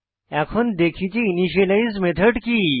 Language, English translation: Bengali, Now let is look at what an initialize method is